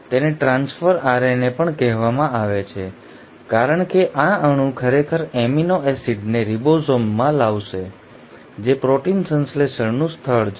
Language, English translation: Gujarati, It is also called as transfer RNA because this molecule will actually bring in the amino acids to the ribosome, the site of protein synthesis